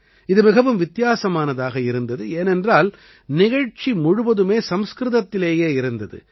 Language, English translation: Tamil, This was unique in itself, since the entire program was in Sanskrit